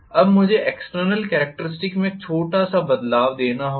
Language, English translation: Hindi, Now a small twist I have to introduce in the external characteristics